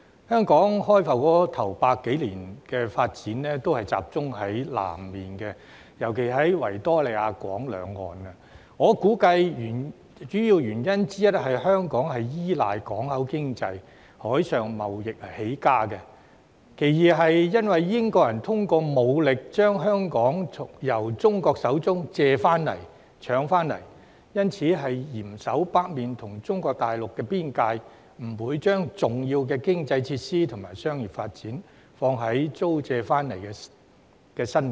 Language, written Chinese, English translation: Cantonese, 香港開埠首100多年來的發展，都集中在南面，尤其是維多利亞港兩岸，我估計主要的原因是香港依賴港口經濟、海上貿易起家；其次是由於英國人通過武力，將香港由中國手中借回來、搶回來，所以要嚴守北面與中國大陸邊界，不把重要的經濟設施及商業發展，放在租借回來的新界。, I guess it was mainly because Hong Kong had relied on seaport economy and thrived on sea trade . Also as the British had forced China to lease and cede different parts of Hong Kong by military means they had to tightly secure the northern border between Hong Kong and the Mainland of China . Therefore neither key economic facilities nor commercial activities were developed in the leased land of the New Territories